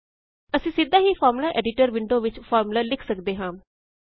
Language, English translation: Punjabi, We can directly write the formula in the Formula Editor window